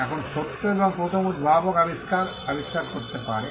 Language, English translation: Bengali, Now, the true and first inventor may invent the invention